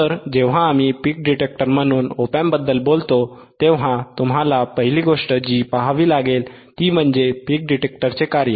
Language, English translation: Marathi, So, when we talk about op amp ias a peak detector, the first thing that you have to see is the function of the peak detector